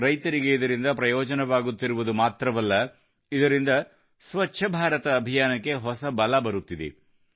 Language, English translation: Kannada, Not only farmers are accruing benefit from this scheme but it has also imparted renewed vigour to the Swachh Bharat Abhiyan